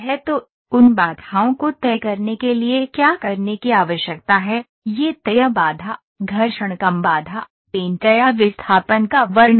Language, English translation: Hindi, So, what are the constraints to do those need to be fixed is it fixed constraint, friction less constraint, paint or describe displacement